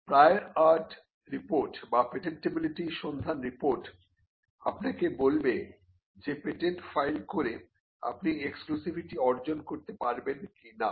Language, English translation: Bengali, Now a prior art report or a patentability search report will tell you whether you can achieve exclusivity by filing a patent